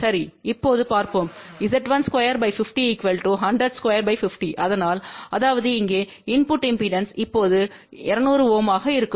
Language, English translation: Tamil, Well let us see now Z1 square by 50 will be 100 square divided by 50, so that means input impedance here will be now 200 ohm